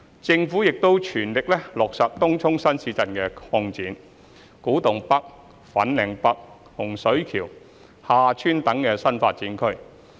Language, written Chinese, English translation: Cantonese, 政府亦正全力落實東涌新市鎮擴展、古洞北/粉嶺北、洪水橋/廈村等新發展區。, The Government is also pressing ahead with the implementation of new development areas like Tung Chung New Town Extension Kwu Tung NorthFanling North and Hung Shui KiuHa Tsuen